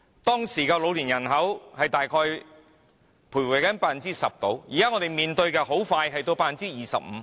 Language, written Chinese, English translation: Cantonese, 當時的老年人口大約徘徊 10%， 現在我們即將面對的是 25%。, At the time elderly population was around 10 % and now the percentage we will face is 25 %